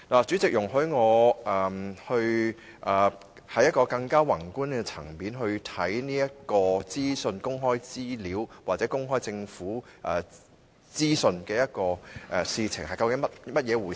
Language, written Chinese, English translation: Cantonese, 主席，容許我從一個較宏觀的層面來看公開資料或公開政府資訊究竟是怎樣的一回事。, President please allow me to look at what access to information or access to government information is about from a broader perspective